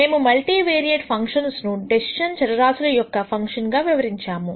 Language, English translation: Telugu, We described multivariate functions as functions with several decision variables